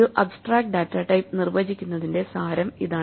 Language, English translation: Malayalam, So, this is the essence of defining an Abstract datatype